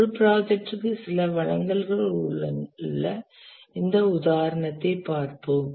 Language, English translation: Tamil, Let's look at this example where a project has certain deliverables